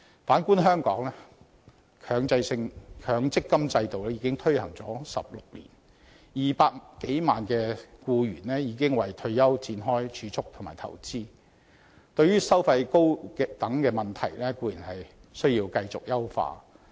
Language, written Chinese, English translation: Cantonese, 反觀香港，強積金制度已推行16年 ，200 多萬名僱員已為退休展開儲蓄和投資，對於收費高等問題固然要繼續處理。, According to the latest report the increase will be postponed to 2019 . Back to Hong Kong the MPF System has been implemented for 16 years and over 2 million employees have started saving and investing for their retirement . It is true that the concern of exorbitant management fees should be addressed continuously